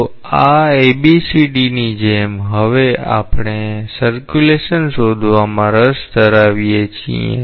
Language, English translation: Gujarati, So, this like A, B, C, D, now we are interested to find out the circulation